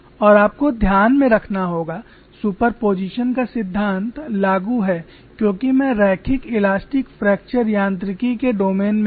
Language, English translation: Hindi, Here principle of superposition is applicable because of linear elastic fracture mechanics